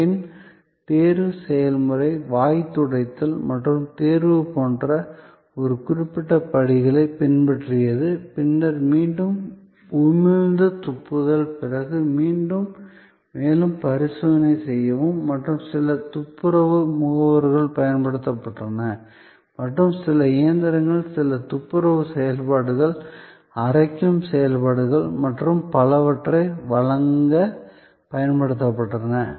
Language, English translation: Tamil, And then, the process of examination followed a certain set of steps like gargling or examination and then, again spitting and then, again further examination and some cleaning agents were used and some machines were used to provide certain cleaning functions, grinding functions and so on